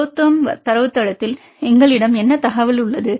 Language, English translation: Tamil, What information we have in a ProTherm database